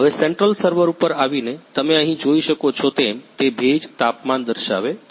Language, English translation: Gujarati, Now, coming to the central server as you can see here, it is show showing humidity, temperature